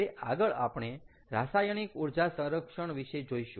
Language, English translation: Gujarati, all right, this is chemical energy storage